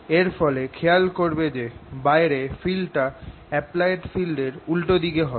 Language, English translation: Bengali, as a consequence, what you notice outside here the field is opposite to the applied field